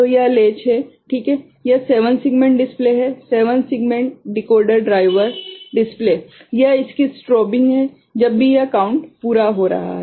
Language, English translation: Hindi, So, this is the latch ok, this is 7 segment display, the 7 segment decoder driver, display, this is strobing of it whenever this count has been completed